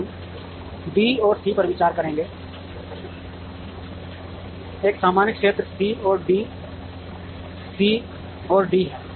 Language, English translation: Hindi, We will consider B and C there is a common area C and D C and D